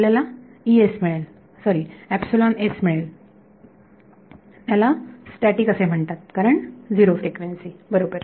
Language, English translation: Marathi, You will get es, oh sorry epsilon s, it is called static because of zero frequency right